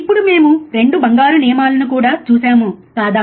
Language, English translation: Telugu, Now, we have also seen 2 golden rules, isn't it